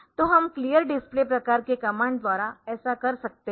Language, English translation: Hindi, So, we can do that by the clear display type of command ok